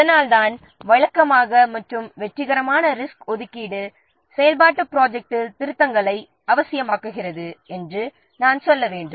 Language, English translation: Tamil, That's why I have to say that usually the successful resource allocation often necessitates revisions to the activity plan